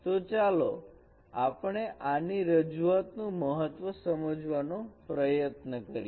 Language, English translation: Gujarati, Let us try to understand the significance of this representation